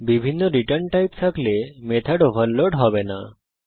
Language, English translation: Bengali, Having different return types will not overload the method